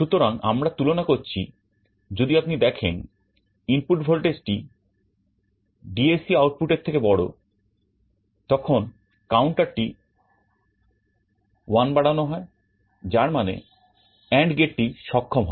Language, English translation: Bengali, So, we are making a comparison, if you find that the input voltage is greater than the DAC output then the counter is incremented by 1; that means, the AND gate is enabled